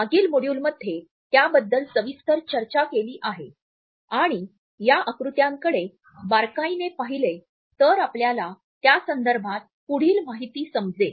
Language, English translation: Marathi, In our previous module we have discussed it in detail and if you look closely at this diagram you would find that this is further information about it